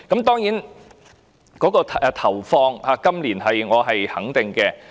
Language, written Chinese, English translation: Cantonese, 當然，對於今年的撥款，我是肯定的。, Certainly I support the funding proposal for this year